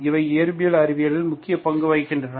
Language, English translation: Tamil, These are, these play important roles in the physical and, physical sciences